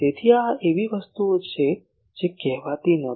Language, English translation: Gujarati, So, these are things that was not said